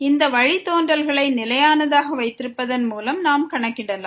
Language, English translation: Tamil, We can just compute this derivative by keeping as constant